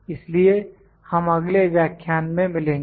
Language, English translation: Hindi, So, we will meet in the next lecture